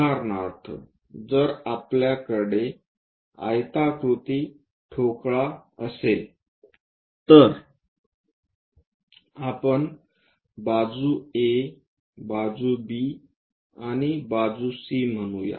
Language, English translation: Marathi, For example, if we have a rectangular block, let us call letter A, side B and C